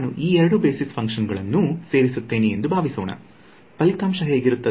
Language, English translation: Kannada, Supposing I add these two basis functions what will the result look like